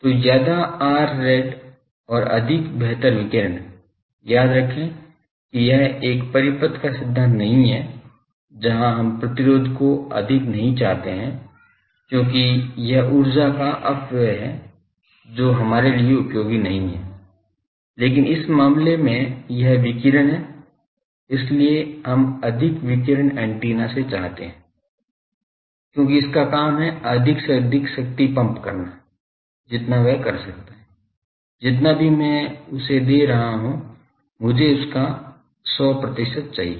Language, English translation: Hindi, So, more R rad better remember this is not a circuit theory, where we do not want resistance to be high, because that is the dissipation of energy we that is not useful, but in these case it is radiation so, more radiation we want from antenna, because it is job is to pump more and more power as much it can do whatever I am giving I want 100 percent should be given